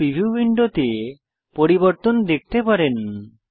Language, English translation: Bengali, You can see the change in the preview window